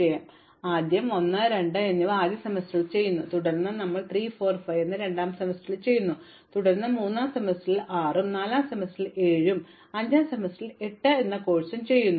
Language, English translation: Malayalam, So, we initially do 1 and 2 in the first semester, then we do 3, 4 and 5 in the second semester, then we do 6 in the third semester, 7 in the fourth semester and 8 in the fifth semester